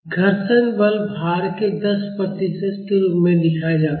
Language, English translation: Hindi, The friction force is given as 10 percent of the weight